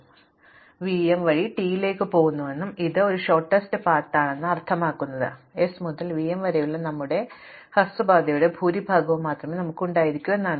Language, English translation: Malayalam, So, therefore, the fact that I am going to t via v m and this is a shortest path means that there must also we only this much of our short path from s to v m and this whole that we have point